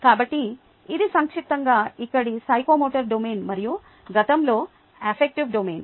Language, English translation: Telugu, ok, so, ah, that is, in short, the psychomotor domain here, and previously the affective domain